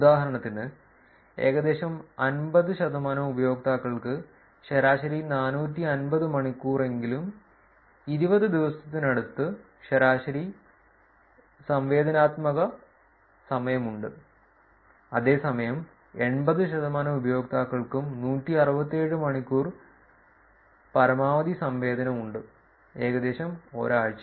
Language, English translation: Malayalam, For instance, around 50 percent of the users have an average interactivity time of at least 450 hours that is close to about 20 days, whereas around 80 percent of the users have the maximum interactivity of 167 hours roughly a week